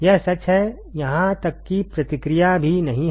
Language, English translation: Hindi, This is true even the feedback is not there ok